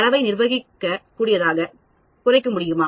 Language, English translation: Tamil, Can I reduce the data so that they are manageable